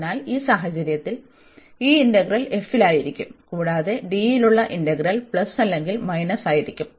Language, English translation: Malayalam, So, in that case this integral will be over this f and plus or minus the integral over D